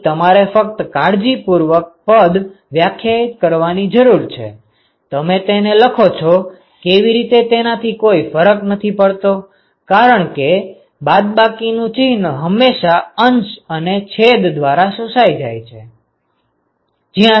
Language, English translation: Gujarati, So, that is all you need to know once you define that carefully it does not matter how you write because minus sign will always be absorbed by the numerator and the denominator it does not matter